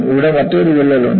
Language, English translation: Malayalam, There is another crack here